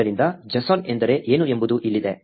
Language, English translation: Kannada, So, here is what a JSON means